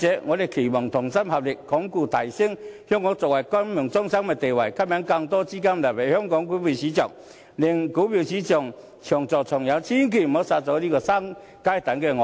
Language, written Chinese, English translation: Cantonese, 我們期望同心合力，鞏固及提升香港作為國際金融中心的地位，吸引更多資金流入香港股票市場，令股票市場長做長有，千萬不要殺了這隻"會生金蛋的鵝"。, We hope that all can be of one mind and join hands to strengthen and elevate Hong Kongs status as an international financial centre and attract more funds to flow into Hong Kongs stock market so that our stock market can develop on a sustainable basis . In any case please do not kill the goose that lays golden eggs